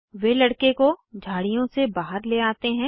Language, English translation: Hindi, They carry the boy out of the bush